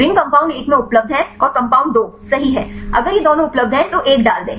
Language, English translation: Hindi, The ring is available in compound one and compound two right if it is both are available then put one